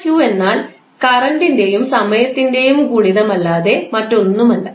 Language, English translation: Malayalam, delta q is nothing but product of current and time